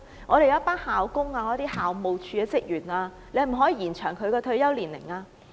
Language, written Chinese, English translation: Cantonese, 可否延後校工和校務處職員的退休年齡呢？, Can the retirement age of janitors and school office staff be extended?